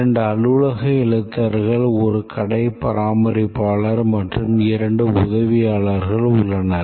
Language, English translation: Tamil, There are two office clerks, a storekeeper and two attendants